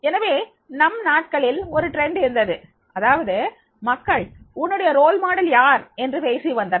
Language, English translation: Tamil, So therefore there was a trend during our days, that is the people were talking who is your role model